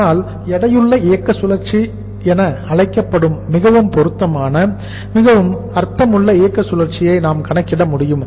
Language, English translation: Tamil, So that we can calculate more appropriate more meaningful operating cycle which is called as the weighted operating cycle